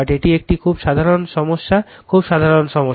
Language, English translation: Bengali, It is a very very simple problem very simple problem right